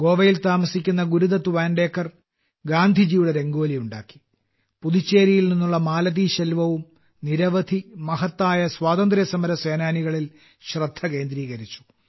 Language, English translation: Malayalam, Gurudutt Vantekar, a resident of Goa, made a Rangoli on Gandhiji, while Malathiselvam ji of Puducherry also focused on many great freedom fighters